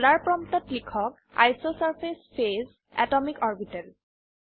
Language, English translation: Assamese, At the ($) dollar prompt type isosurface phase atomicorbital